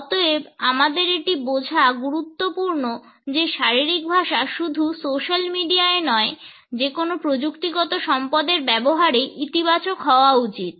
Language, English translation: Bengali, And therefore, it is important for us to understand that our body language not only on social media, but in the use of any technological resources should be positive